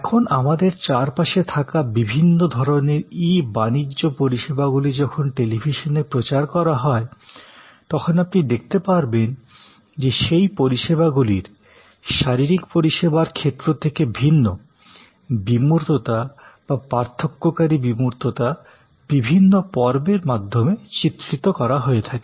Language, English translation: Bengali, So, all the different kinds of e commerce services that are now all around us, when they are promoted on the television, you will see the abstractness of that service or the differentiating abstractness I would say of the e services as suppose to physical services are depicted through different episodes